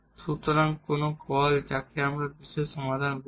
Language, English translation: Bengali, So, that will be called as the particular solution